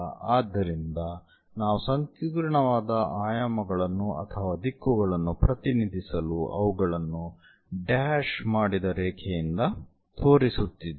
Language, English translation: Kannada, So, we just to represent that intricate dimensions or directions also we are showing it by a dashed line